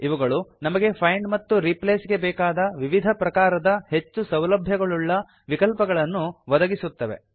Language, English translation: Kannada, They provide users with various types of advanced find and replace options